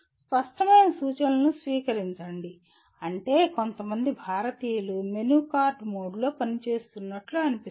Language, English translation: Telugu, Receive clear instructions means somehow Indians seem to be operating in a menu card mode